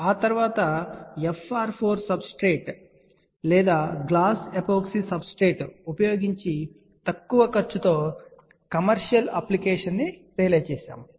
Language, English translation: Telugu, After that we saw a low cost realization using FR4 substrate or a glass epoxy substrate for commercial application